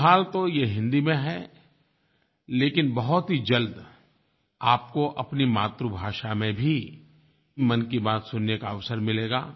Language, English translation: Hindi, But very soon, you would get the opportunity to listen to Mann Ki Baat in your mother tongue